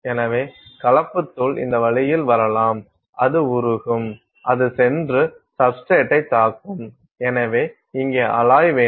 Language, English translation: Tamil, So, the mixed powder can come this way so, that will melt and it will go and form melt it will melt, it will go and hit the substrate and so, you here you will have the alloy